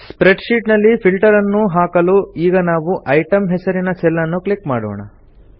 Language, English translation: Kannada, In order to apply a filter in the spreadsheet, lets click on the cell named Item